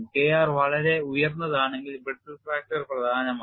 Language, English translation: Malayalam, When K r is quite high, brittle fracture predominates